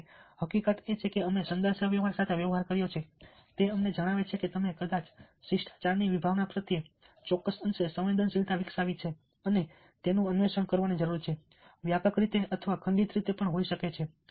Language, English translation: Gujarati, however, the fact that we have dealt with communication tells us that you have probably developed a certain degree of sensitivity to the concept over ticket and need to explore it, may be in a comprehensive way or a fragmented way as well